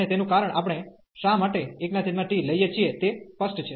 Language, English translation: Gujarati, And the reason, why we are taking 1 over t is clear